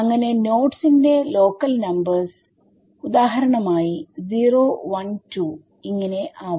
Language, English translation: Malayalam, So, the local numbers of the nodes will be for example, 012 012 ok